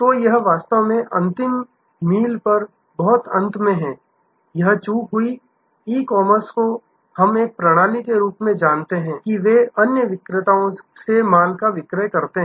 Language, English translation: Hindi, So, it is actually at the very end at the last mile, this lapse occurred, the system as a whole in the e commerce as you know they procure stuff from other vendors